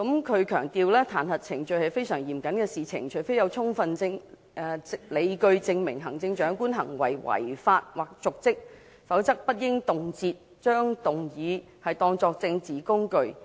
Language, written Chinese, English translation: Cantonese, 他強調彈劾程序是非常嚴肅的事情，除非有充分理據證明行政長官行為違法或瀆職，否則不應動輒把彈劾議案當作政治工具。, The Chief Secretary stressed that impeachment was a very solemn matter; and unless there was sufficient justification to prove that the Chief Executive had acted in breach of the laws and committed dereliction of duty a motion of impeachment should not be moved arbitrarily as a political tool